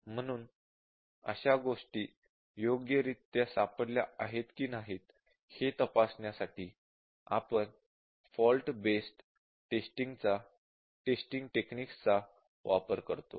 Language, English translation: Marathi, So, we will use fault based testing techniques to check whether those things have been properly detected